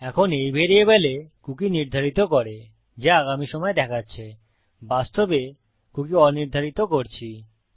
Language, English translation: Bengali, Now by setting the cookie to this variable which represents a time in the future, we are actually unsetting the cookie